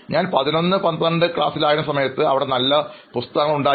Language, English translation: Malayalam, When I am in the class 11th 12th, we had a good set of books there